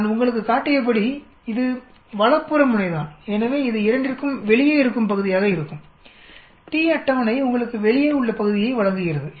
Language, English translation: Tamil, This is for the right tail as I did show you, so this will be the area outside for both the t table gives you the area outside